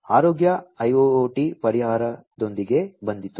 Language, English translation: Kannada, came up with the health IIoT solution